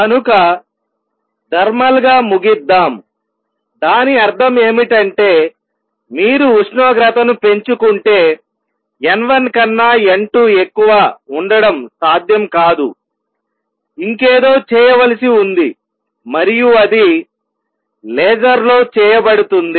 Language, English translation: Telugu, So, let us conclude thermally that means, if you raise the temperature right it is not possible to have n 2 greater than n 1, something else as to be done and that is what is done in a laser